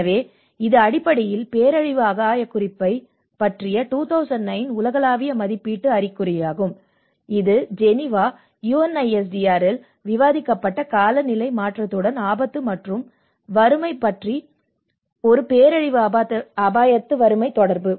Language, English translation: Tamil, So this is the basically the 2009 global assessment report on disaster risk reduction, which is risk and poverty in climate change which has been discussed in Geneva UNISDR and this is a disaster risk poverty nexus